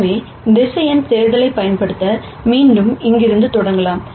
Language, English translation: Tamil, So, using vector addition, again we can start from here let us say, and this is x